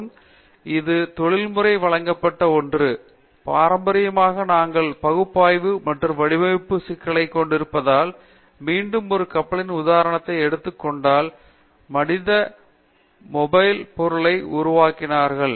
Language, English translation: Tamil, And, this is something it has been catered to the industry, that we traditionally had the problem of analysis and design because again if I take the example of a ship, is a largest man made mobile object